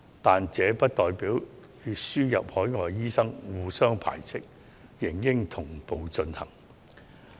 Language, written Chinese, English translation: Cantonese, 但這並不與輸入海外醫生互相排斥，兩者理應同步進行。, But these measures and the importation of overseas doctors should not be mutually exclusive and should proceed concurrently